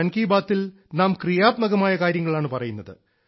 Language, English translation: Malayalam, In Mann Ki Baat, we talk about positive things; its character is collective